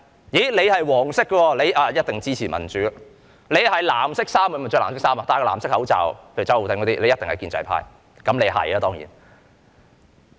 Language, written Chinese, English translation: Cantonese, 你是"黃色"的，一定支持民主；你佩戴藍色口罩就一定是建制派，例如周浩鼎議員當然一定是。, If you are yellow you must be a supporter of democracy . If you wear a blue mask you must be a member of the pro - establishment camp . Mr Holden CHOW for example is surely one